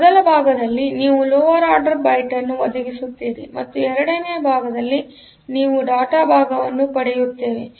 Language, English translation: Kannada, So, in the first part you provide the address for the lower order address byte and in the second part, we get the data part